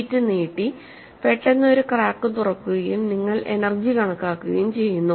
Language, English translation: Malayalam, The sheet was stretched and suddenly a crack opens up and you calculate the energy